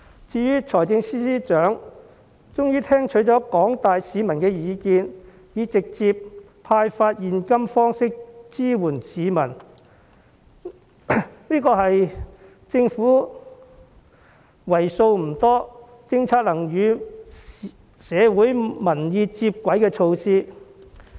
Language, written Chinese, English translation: Cantonese, 至於財政司司長終於聽取了廣大市民的意見，以直接派發現金方式支援市民，這是為數不多的政府政策與社會民意接軌措施。, The Financial Secretary has finally listened to the opinions of the public and offered support through direct cash handouts . This is one of the few measures that has geared government policies towards public opinions